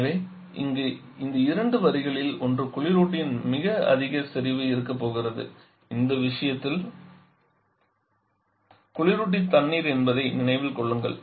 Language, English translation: Tamil, So here out of the two lines which one is going to be having a higher concentration of the refrigerant, remember the refrigerant is water in this case